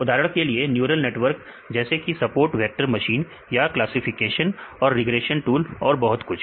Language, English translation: Hindi, For example, neural network, say support vector machines or the classification and regressions tools and so, on